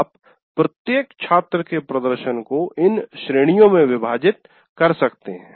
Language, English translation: Hindi, That is, each one, student performance you can divide it into these categories